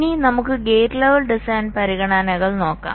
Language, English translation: Malayalam, ok, now let us look at the gate level design considerations